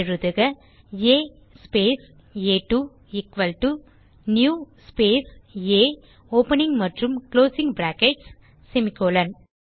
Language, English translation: Tamil, So type A space a2 equal to new space A opening and closing brackets semicolon